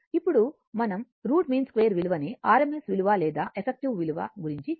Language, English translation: Telugu, Now, next is that your we have to come to the root mean square value root mean square value r m s value or effective value right